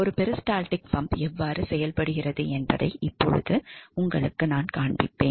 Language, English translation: Tamil, So, this is how a peristaltic pump works so